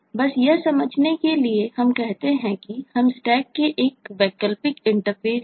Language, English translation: Hindi, just to understand that, let us say, let us take, for the stack itself, an alternative interface